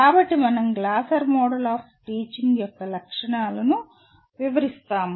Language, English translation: Telugu, So we present the features of Glasser Model of Teaching